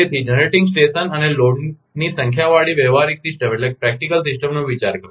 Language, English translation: Gujarati, So, consider a practical system with number of generating station and loads